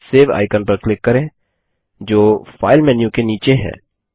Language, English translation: Hindi, Click on the Save icon that is below the File menu